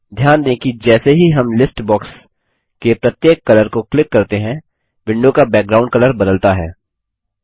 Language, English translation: Hindi, Notice that the window background colour changes as we click through each colour in the list box